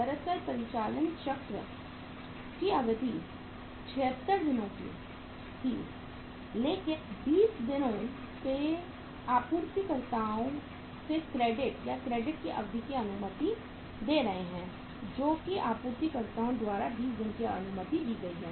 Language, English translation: Hindi, Actually the duration of the operating cycle was 76 days but since for 20 days the suppliers are allowing the credit or the credit period which is allowed by the suppliers is 20 days